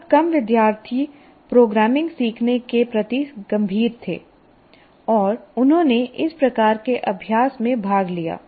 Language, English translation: Hindi, A small number of students who are serious about learning programming, then they have participated in these kind of exercises